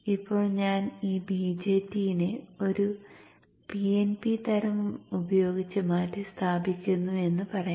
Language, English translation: Malayalam, So now let us say that I replace this BJT with a PNP type